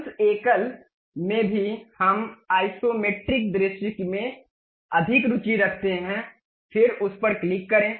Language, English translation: Hindi, In that single one also, we are more interested about isometric view, then click that